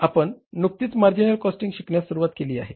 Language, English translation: Marathi, So you follow the process of the marginal costing here